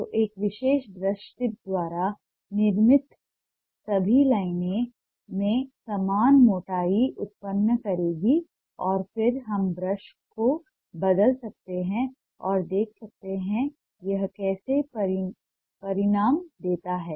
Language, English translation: Hindi, so all the lines produced by a particular brush tip will generate a similar thickness in the line and then we can change the brush and see how it results